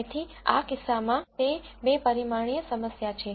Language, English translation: Gujarati, So, in this case it is a two dimensional problem